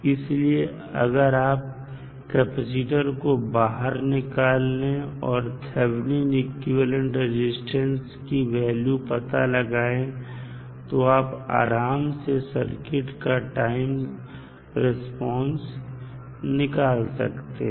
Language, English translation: Hindi, So, that means that if you take out the capacitor and find the value of Thevenin resistance, that would be sufficient to find the time response of the circuit